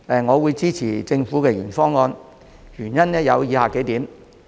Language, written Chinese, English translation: Cantonese, 我支持政府的原議案，原因有以下數點。, I support the Governments original motion for the following reasons